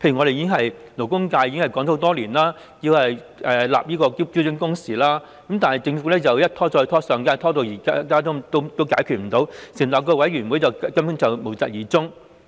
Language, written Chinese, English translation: Cantonese, 勞工界已爭取多年，要求訂定標準工時，但政府一拖再拖，由上屆拖到今屆仍未解決，成立委員會後又無疾而終。, The labour sector has been fighting for standard work hours for years . But the Government has adopted a stalling tactic in this respect . The problem has been left unsolved since the last Government